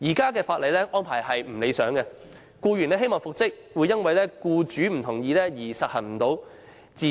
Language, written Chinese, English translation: Cantonese, 現行法例的安排並不理想，即使僱員希望復職，也會因為僱主不同意而不能復職。, The arrangement under the current legislation is unsatisfactory because without the consent of the employer the employee can never be reinstated as heshe wishes